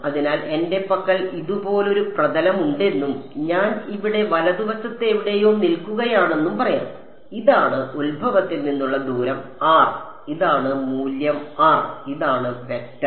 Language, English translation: Malayalam, So, let us say that I have a aircraft like this alright and I am standing somewhere far over here r right, this is the distance r from the origin this is the value r this is the vector r hat